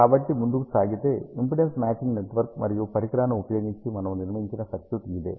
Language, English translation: Telugu, So, moving ahead this is a circuit that we have built using the impedance matching network and the device